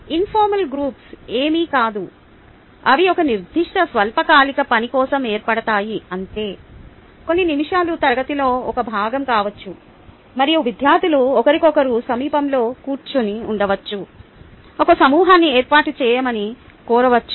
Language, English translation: Telugu, informal groups is nothing, but they are formed for a particular short term task, a few minutes may be a part of the class and it could just be the students were sitting near each other could be asked to form a group